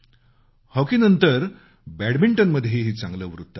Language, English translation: Marathi, After hockey, good news for India also came in badminton